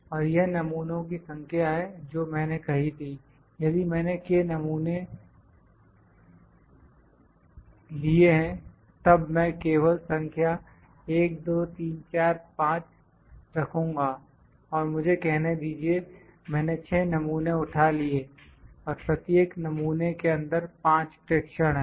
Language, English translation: Hindi, And this is number of samples that I have said, if I have taken k samples I will take I will just putting number 1, 2, 3, 4, 5 and let me say I have picked 6 samples and each sample is having 5 observations in it